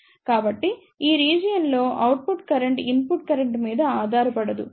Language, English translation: Telugu, So, in this region, output current becomes independent of the input current